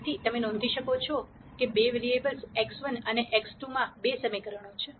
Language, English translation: Gujarati, So, you can notice that there are two equations in two variables x 1 and x 2